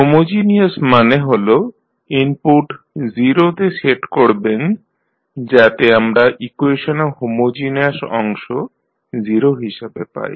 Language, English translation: Bengali, Homogeneous means you set the input to 0, so we get the homogeneous part of the equation to 0